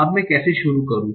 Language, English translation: Hindi, Now how do I start